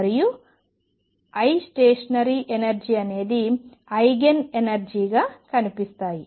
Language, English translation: Telugu, And the energies that I stationary energies appear as Eigen energy